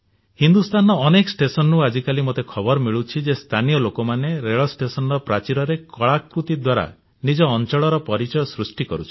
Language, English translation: Odia, I am receiving news from many railway stations in the country where the local populace has taken to depicting on the walls of the railway stations, their area's identity, through means of their arts